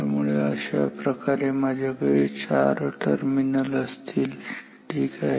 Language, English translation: Marathi, So, this way I have 4 terminals ok